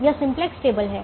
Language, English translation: Hindi, this is the simplex table